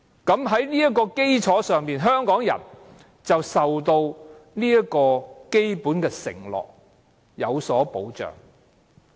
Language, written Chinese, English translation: Cantonese, 在這個基礎上，香港人獲得基本的承諾，有所保障。, It is on this basis that Hong Kong people are given a basic promise and protection